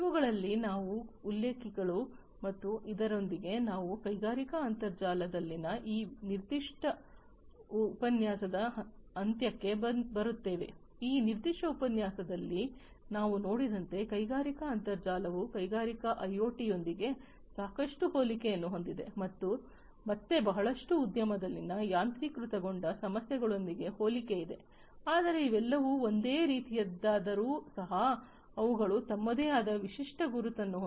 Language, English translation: Kannada, So, these are some of these references, and with this we come to an end, of this particular lecture on industrial internet, as we have seen in this particular lecture industrial internet has lot of similarity with the industrial IoT, which again has also a lot of similarity with automation issues in the industry, but all of these even though are similar they have their own distinct identity and the origin is also distinct and that is how these have also become very popular on their own standing